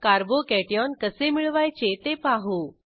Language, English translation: Marathi, I will show how to obtain a Carbo cation